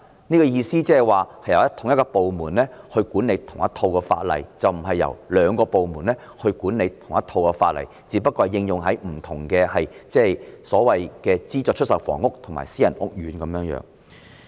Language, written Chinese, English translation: Cantonese, 我的意思是由同一個部門來執行同一套法例，而不是由兩個部門來執行同一套法例，而分別只不過是應用在資助出售房屋和私人屋苑而已。, What I mean is to make the same department implement the same set of laws rather than allowing two departments to implement the same set of laws the only difference being whether they are applied to subsidized sale flats or private housing estates